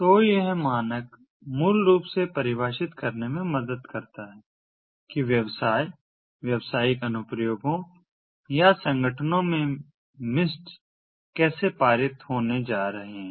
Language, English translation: Hindi, so this standard basically helps define how mistis are going to be passed from businesses, business applications or organizations